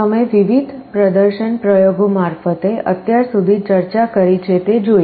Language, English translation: Gujarati, You have seen through the various demonstration experiments that we have discussed so far